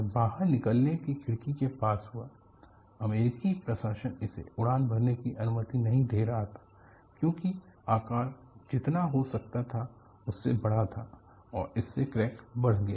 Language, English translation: Hindi, It happened near the escape window that US administration was not allowing it to fly because the size was larger than what it could be, and you had the crack propagated from this